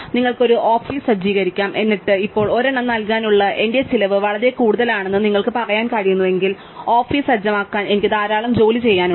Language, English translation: Malayalam, You may setup an office, and then all that now if you cannot say that my cost in give one was a lot, because I have to do a lot of work to setup the office